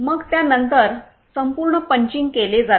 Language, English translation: Marathi, So after that entire punching is done